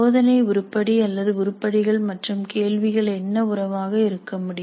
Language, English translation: Tamil, Now what do we have under the test item or items and questions as the relationship